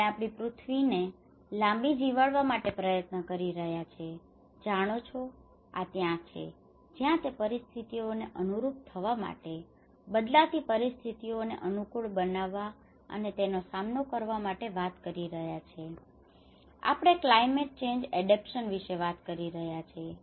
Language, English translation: Gujarati, We are trying to make our earth live longer, little longer so, this is where the abilities you know that is where we are talking, in order to adapt with the situations you know, in order to adapt and cope with the changing situations, we are talking about the climate change adaptation